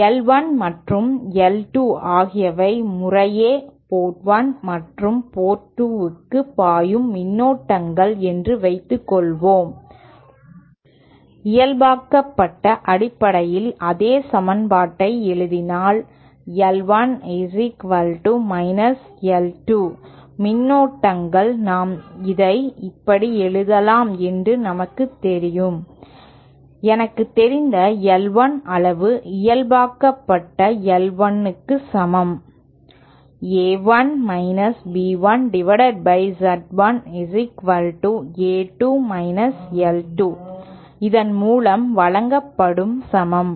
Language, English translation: Tamil, Suppose I 1 and I 2 are the currents flowing in to port 1 and port 2 respectively then we know that I 1 is equal to the negative of I 2 if we write the same equation in terms of normalized [inped] currents then we know we can write it like this, I 1 magnitude we know is equal to, the normalized I 1 is simply A 1 minus B 1 that upon Z 1 is equal to A 2 minus I 2 normalized is equal given by this